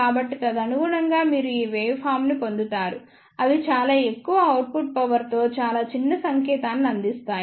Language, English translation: Telugu, So, correspondingly you will get the waveform like this they provide a very small signal with very high output power